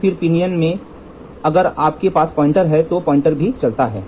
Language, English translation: Hindi, So, in the pinion if you have a pointer then the pointer also moves